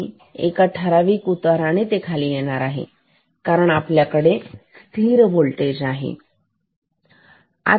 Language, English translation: Marathi, And this will come down with a fixed slope, because this is our constant voltage known voltage